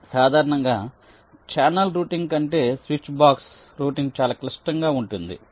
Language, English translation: Telugu, switchbox routing is typically more complex than channel routing and for a switchbox